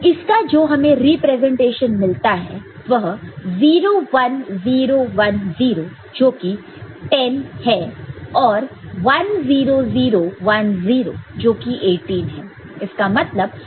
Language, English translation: Hindi, These are the corresponding representation 0 1 0 1 0 that is your 10 and 1 0 0 1 0 that is your 18 ok